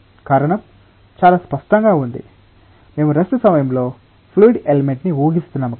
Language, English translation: Telugu, The reason is quite clear, we are assuming a fluid element at rest